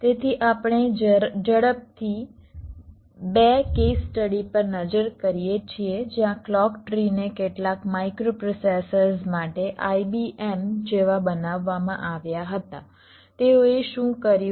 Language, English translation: Gujarati, ok, so we quickly look at two case studies where the clock trees were designed like i, b, m for some of the microprocessors